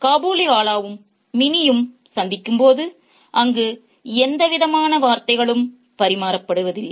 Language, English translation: Tamil, So, when the Kabiliwala and mini meet, there is hardly any exchange of words there